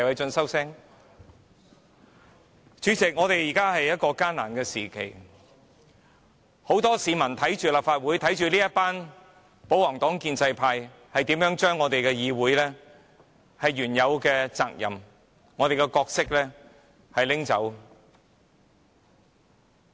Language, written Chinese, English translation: Cantonese, 主席，這是艱難的時刻，很多市民正在看着立法會，看着保皇黨或建制派議員如何把議會原有的責任和角色拿走。, President this is a difficult time . Many people are watching the Legislative Council watching how the royalist or pro - establishment Members confiscate the functions and roles of this Council